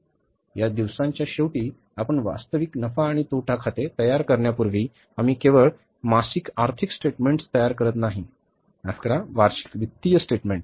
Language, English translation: Marathi, Before you prepare the real profit and loss account at the end of the time horizon, these days we don't prepare only monthly financial statements, sorry, annual financial statements